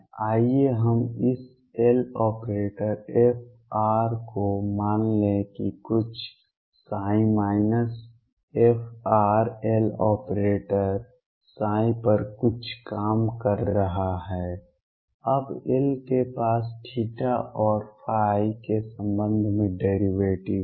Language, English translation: Hindi, Let us take this L f r operating on say some psi minus f r L operating on some psi now L has derivatives with respect to theta and phi only